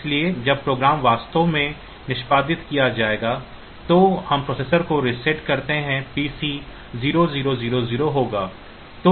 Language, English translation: Hindi, So, when the program will actually be executed the PC, when we reset the processor the PC will be 0 0 00